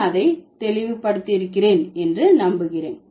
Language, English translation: Tamil, I hope I made it clear